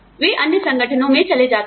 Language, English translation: Hindi, They go to other organizations